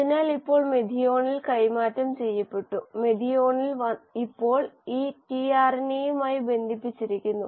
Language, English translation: Malayalam, So now it has, methionine has been passed on and methionine is now linked to this tRNA